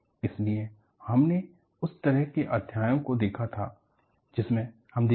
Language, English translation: Hindi, So, we had looked at the kind of chapters that, we will look at